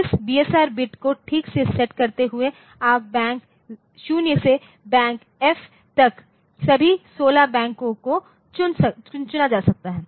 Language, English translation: Hindi, Setting this BSR bits properly so, you can tell Bank 0 to Bank F so, all the 16 Banks can be selected